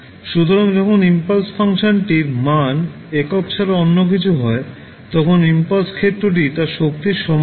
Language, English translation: Bengali, So, when the impulse function has a strength other than the unity the area of the impulse is equal to its strength